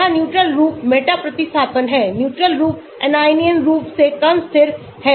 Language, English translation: Hindi, here the neutral form is the meta substitution neutral form is less stable than the anion form